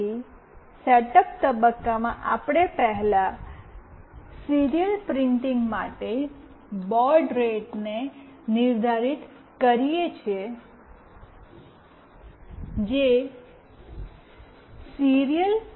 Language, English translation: Gujarati, So, in the setup phase we first define the baud rate for that serial printing that is Serial